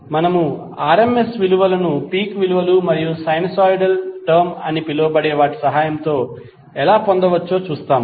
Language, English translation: Telugu, So we will see how we can derive The RMS value with the help of the peak values and sinusoidal termed